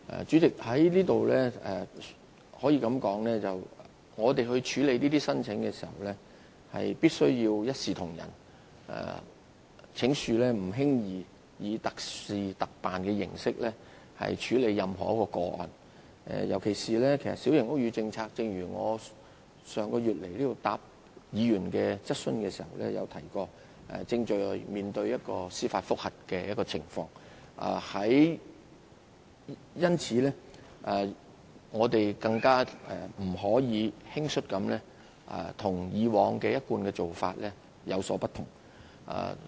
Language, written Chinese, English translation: Cantonese, 主席，在此我要指出，在處理這些申請時，必須一視同仁，請恕我們不能輕易以特事特辦的形式來處理任何一宗個案。尤其必須指出的是，正如我上月到來回答議員質詢時已提及，小型屋宇政策正面對司法覆核程序，因此，我們更不能輕率行事，偏離一貫做法。, President I have to point out here that each application must be given equal treatment and I hope you will understand that we are not in a position to make special arrangements for any cases so lightly in particular for the reason I mentioned when giving replies to Members questions here last month since the Policy is now under judicial review we must be even more careful not to deviate from our usual practice so lightly